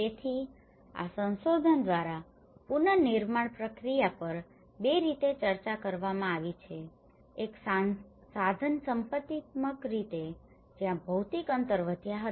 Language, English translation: Gujarati, So this research have discussed the reconstruction process in two ways one is instrumentally in a positivist way, where the physical distances had increase